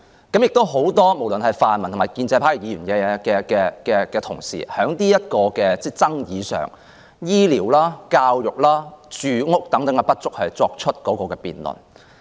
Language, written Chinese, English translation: Cantonese, 不無論是泛民或建制派的議員，他們在這項爭議上，就醫療、教育和住屋等不足的問題作出辯論。, On this controversial issue Members from either the pan - democratic camp or the pro - establishment camp have debated on the inadequacy of our health care education and housing facilities